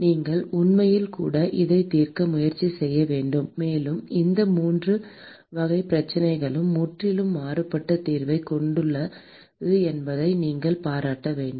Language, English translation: Tamil, You should actually even try to solve that also; and you must appreciate that the these 3 classes of problems have completely different solution